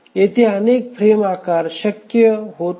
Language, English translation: Marathi, We will find that several frame sizes are becomes possible